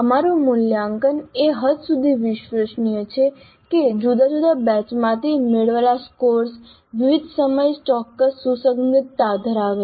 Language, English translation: Gujarati, So to what extent our assessment is reliable in the sense that scores obtained from different batches at different times have certain consistency